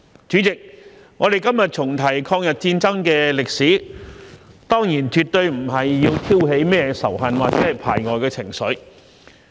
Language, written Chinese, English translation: Cantonese, 主席，我們今天重提抗日戰爭的歷史，當然絕對不是要挑起甚麼仇恨或排外的情緒。, President we recall the history of the War of Resistance today certainly not for the purpose of stoking up hatred or xenophobia